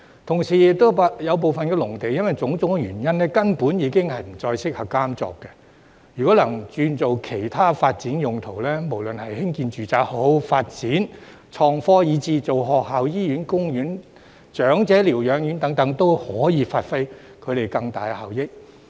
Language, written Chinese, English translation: Cantonese, 同時，有部分農地因種種原因，根本已不再適合耕作，若能轉做其他發展用途，無論是興建住宅、發展創科，以至興建學校、醫院、公園、長者療養院等，都可以發揮更大效益。, Meanwhile for some reasons certain farmlands are no longer suitable for farming . It will be more effective if they can be rezoned for other development purposes―no matter if they are used for residential development innovation and technology development or even for the construction of schools hospitals parks infirmaries for elderly people and so on